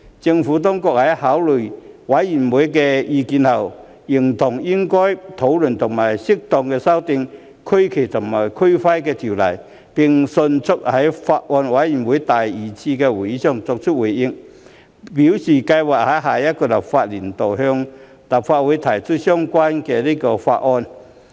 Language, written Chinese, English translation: Cantonese, 政府當局在考慮委員的意見後，認同應討論和適度修訂《區旗及區徽條例》，並迅速在法案委員會第二次會議上作出回應，表示計劃在下一個立法年度向立法會提交相關法案。, After taking into account members opinions the Administration agreed that it should review and suitably amend RFREO and quickly gave us a reply at the second meeting of the Bills Committee telling us their intention to introduce the relevant bill into the Legislative Council within the next legislative session